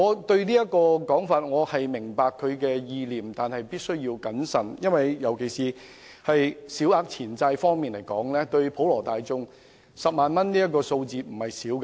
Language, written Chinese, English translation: Cantonese, 雖然我明白這說法的意念，但認為必須謹慎處理，尤其是就小額錢債案件而言 ，10 萬元對普羅大眾來說並非小數目。, Although I understand the idea behind these remarks I think the proposal must be handled with care especially in respect of small claims cases as 100,000 is not a small sum of money to members of the public